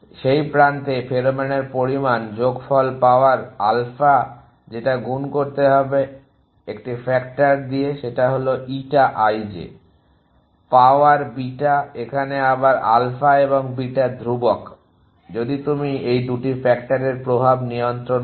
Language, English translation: Bengali, The amount of pheromone on that edge that it is considering raise to sum power alpha multiply it by a factor which is called eta i j is to power beta, so again alpha and beta to constant, if you control the influence of these 2 factors